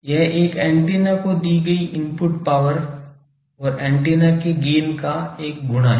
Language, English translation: Hindi, That it is a product of the input power given to an antenna and the gain of the antenna